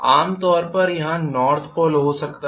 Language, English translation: Hindi, Normally I may have a north pole here